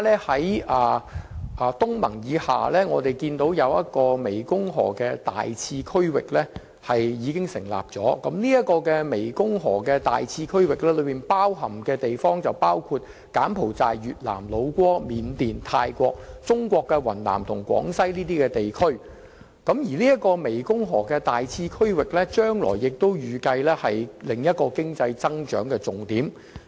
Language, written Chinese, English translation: Cantonese, 除東盟以外，有關國家及地區亦成立了大湄公河次區域，所涵蓋的地方包括柬埔寨、越南、老撾、緬甸、泰國、中國的雲南及廣西等地區，預計大湄公河次區域將成為另一個經濟增長的重點。, Besides ASEAN Southeast Asian countries and places have also formed the Greater Mekong Subregion GMS which covers Cambodia Vietnam Lao PDR Myanmar Thailand as well as the Yunnan and Guangxi Provinces of China . GMS is expected to become another focal point of economic growth